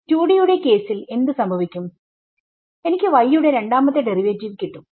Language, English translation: Malayalam, In the case of 2D what will happen, I will have a second derivative of y also ok